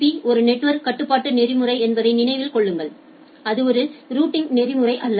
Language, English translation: Tamil, Remember that RSVP is a network control protocol and it is not a routing protocol